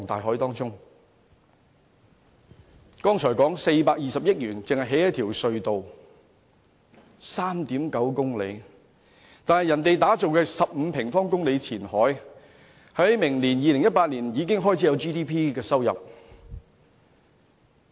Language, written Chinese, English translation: Cantonese, 我剛才說420億元只興建一條 3.9 公里長的隧道，但內地打造面積15平方公里的前海，明年已經開始有 GDP 的收入。, As I have mentioned earlier in contrast to Hong Kongs spending of 42 billion for the 3.9 km tunnel the 15 - sq km Qianhai is set to generate GDP revenue in 2018